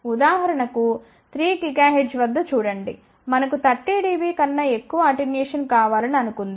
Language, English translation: Telugu, For example, just look at it at 3 gigahertz, suppose we want an attenuation of more than 30 dB